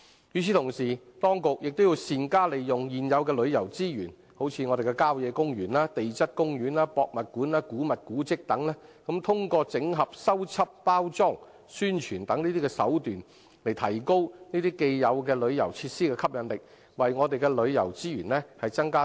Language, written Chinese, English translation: Cantonese, 與此同時，當局亦要善用現有的旅遊資源，例如郊野公園、地質公園、博物館、古物古蹟等，通過整合、修葺、包裝、宣傳等手法，提高這些既有旅遊設施的吸引力，為我們的旅遊資源增加新元素。, Meanwhile the authorities also have to make optimal use of existing tourism resources such as country parks geoparks museums antiquities and monuments and so on and enhance the attractiveness of these tourism facilities through collation renovation packaging and promotion so as to put in new elements to our tourism resources